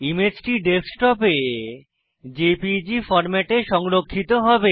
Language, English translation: Bengali, The image will now be saved in JPEG format on the Desktop